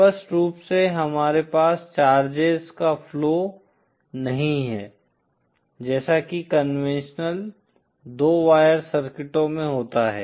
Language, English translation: Hindi, Obviously we cannot have flow of charges as we know in conventional two wire circuits